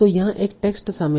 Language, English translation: Hindi, So there is a text involved here